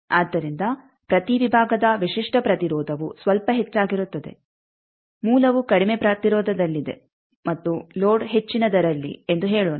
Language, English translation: Kannada, So, characteristic impedance of each section is slightly higher than the; let us say source is at lower impedance and load at higher